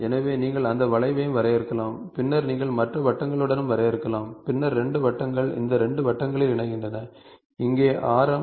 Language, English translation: Tamil, so, you can also define that arc and then you can also define with the other circles and then 2 circles joining these 2 circles, here radius